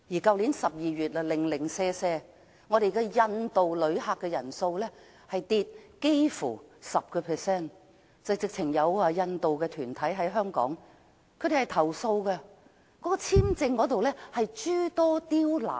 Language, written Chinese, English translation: Cantonese, 去年12月，只有印度的訪港旅客人數下跌差不多 10%， 有印度團體甚至投訴香港在簽證方面諸多刁難。, In December 2016 only the number of inbound visitors from India recorded a fall of nearly 10 % and an Indian organization even complained that Hong Kong has made their visa application difficult